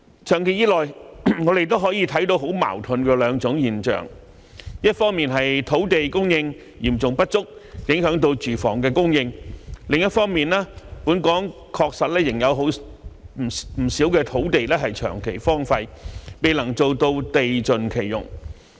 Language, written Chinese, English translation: Cantonese, 長期以來，我們也可以看到兩種很矛盾的現象，一方面是土地供應嚴重不足，影響住房供應；另一方面是本港確實仍有不少土地長期荒廢，未能做到地盡其用。, For a long time we have also noticed two very contradictory phenomena . On the one hand there is a serious shortage of land supply which affects the supply of housing; on the other hand there is indeed a lot of land in Hong Kong that has been abandoned for a long time resulting in a failure to use land to the fullest